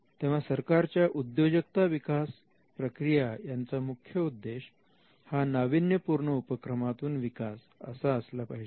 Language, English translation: Marathi, Now, the focus of the entrepreneurial activity of the state should be on innovation led growth